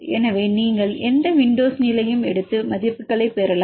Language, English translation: Tamil, So, you take any window length and get the values